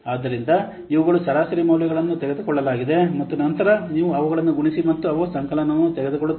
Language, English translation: Kannada, So, these are average values have been taken, and then you multiply them and they take the summation